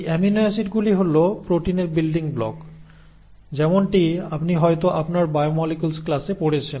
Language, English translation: Bengali, The amino acids are the building blocks of the proteins, as you would have read in your biomolecules class